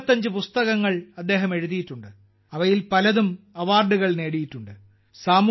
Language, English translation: Malayalam, He has written 75 books, many of which have received acclaims